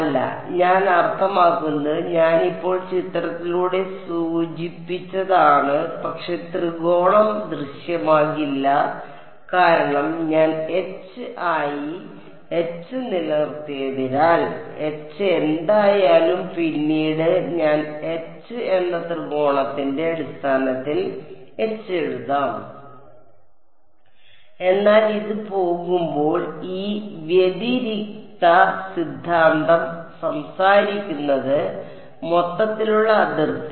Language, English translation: Malayalam, No, I mean I have just indicated by figure, but the triangle does not appear because I have kept H as H whatever H may be later I will write H in terms of triangles ok, but as this goes the this divergence theorem talks about the overall boundary